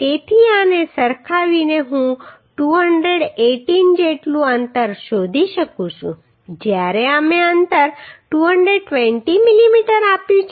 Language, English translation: Gujarati, So equating this I can find out the spacing as 218 whereas we have provided spacing 220 mm